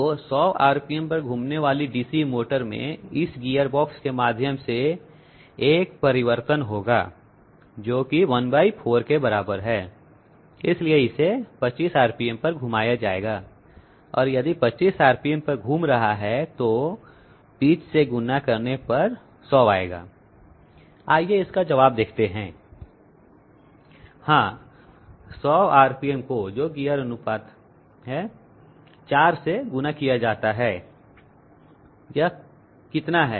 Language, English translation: Hindi, So DC motor rotating at 100 rpm will have a transformation through this gearbox, which is one fourth, so this must be rotated at 25 rpm and if it is rotating at 25 rpm multiplied by the pitch that will be 100 okay, let us see the answer